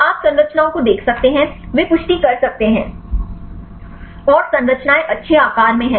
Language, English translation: Hindi, So, you can see the structures; they can validate and say the structures are in good shape